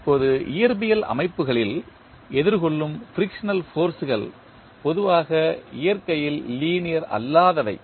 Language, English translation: Tamil, Now, the frictional forces encountered in physical systems are usually non linear in nature